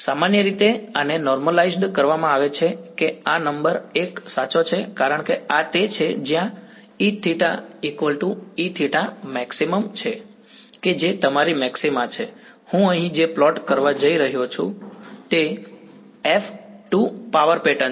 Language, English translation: Gujarati, Typically this is normalized such that this number is 1 right because this is where E theta is equal to E theta max right, that is the maxima of your, what I am plotting over here is mod F squared the power pattern